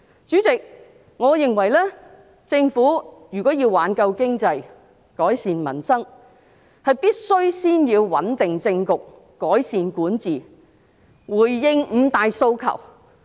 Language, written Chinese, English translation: Cantonese, 主席，我認為政府如果要挽救經濟，改善民生，必須先要穩定政局，改善管治，回應"五大訴求"。, President if the Government wants to revive the economy and improve peoples livelihood I think it should first stabilize the political situation improve its governance and respond to the five demands